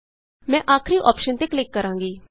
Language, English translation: Punjabi, I will click on the last option